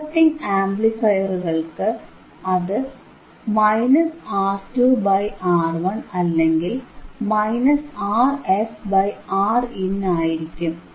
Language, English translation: Malayalam, For inverting amplifier, iit will be minus R 2 by R 1 or minus rRf by Rin